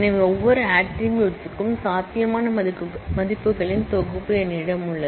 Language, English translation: Tamil, So, for every attribute, I have a set of values that are possible